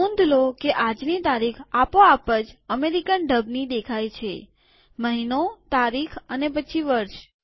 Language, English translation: Gujarati, Note that todays date appears automatically in American style: month, date and then year